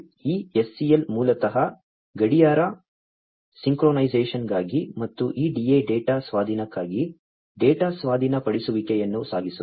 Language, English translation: Kannada, This SCL is basically for clock synchronization and this DA is the one that will carry the data the data acquisition for data acquisition